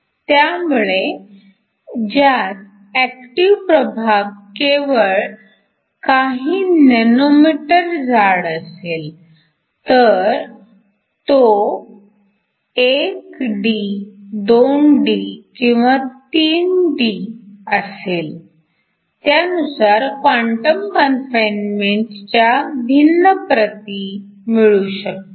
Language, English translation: Marathi, So, of the active regions is only a few nanometers thick whether it is in 1D, 2D or 3D you can get different orders of quantum confinement